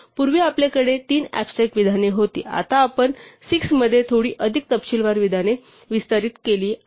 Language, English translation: Marathi, So, earlier we had three abstract statements now we are expanded out into 6, slightly more detailed statements